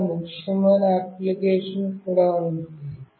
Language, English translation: Telugu, And there are many other applications as well